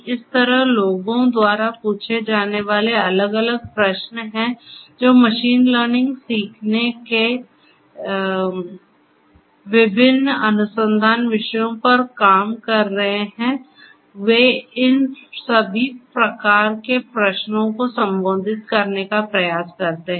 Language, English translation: Hindi, So, there are different different questions people ask, people who are working on the different research themes of machine learning they try to address all these different types of varieties of questions